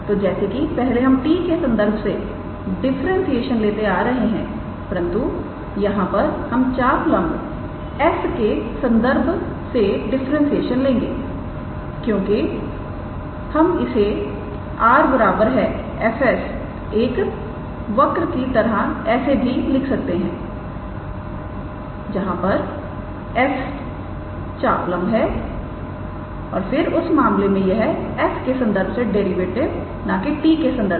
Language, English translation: Hindi, So, earlier the differentiation where with respect to the parameter t, but in this case the differentiation is with respect to the arc length s because we can also write r is equals to fs as a curve, where s is the arc length and then in that case these derivatives are basically derivatives with respect to s not with respect to t